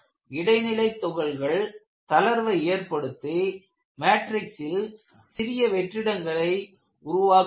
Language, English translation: Tamil, The intermediate particles loose coherence with the matrix and tiny voids are formed